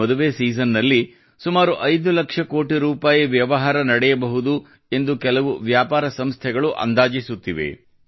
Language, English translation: Kannada, Some trade organizations estimate that there could be a business of around Rs 5 lakh croreduring this wedding season